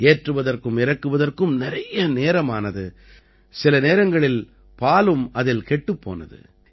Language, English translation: Tamil, Firstly, loading and unloading used to take a lot of time and often the milk also used to get spoilt